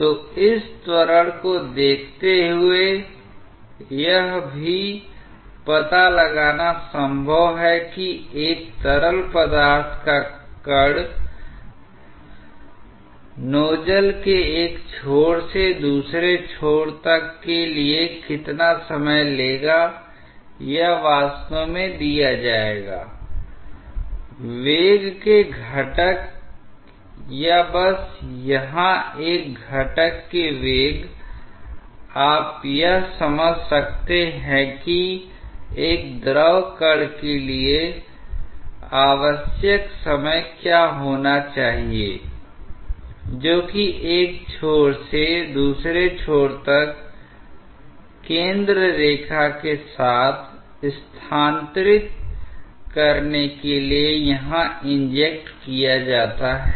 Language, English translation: Hindi, So, given this acceleration, it is also possible to find out that how much time a fluid particle will take to traverse say from one end of the nozzle to the other or given in fact, the velocity components or just here one component of velocity, you may work out that what should be the time necessary for a fluid particle which is injected here to move along the centreline from one end to the other, if you know the velocity component